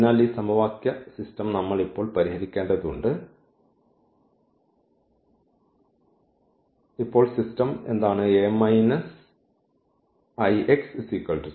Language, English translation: Malayalam, So, this system of equation we have to solve now and what is the system now A minus 1